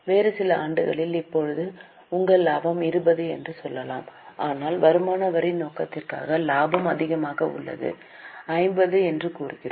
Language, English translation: Tamil, Suppose in some other year, let us say that now your profit is 20 but for income tax purpose the profit is higher, let us say 50